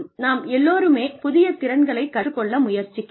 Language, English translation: Tamil, We are all trying to learn newer skills